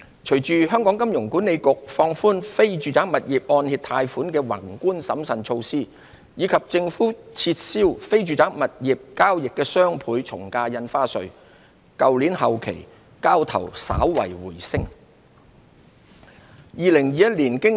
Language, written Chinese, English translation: Cantonese, 隨着香港金融管理局放寬非住宅物業按揭貸款的宏觀審慎措施，以及政府撤銷非住宅物業交易的雙倍從價印花稅，去年後期交投稍為回升。, Following the relaxation of macro - prudential measures for mortgage loans on non - residential properties by the Hong Kong Monetary Authority HKMA as well as the abolition of the Doubled Ad Valorem Stamp Duty on non - residential property transactions by the Government there was a slight rebound in transactions in the latter part of last year